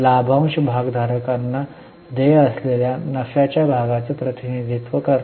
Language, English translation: Marathi, Dividend represents the share of profit which is paid to the shareholders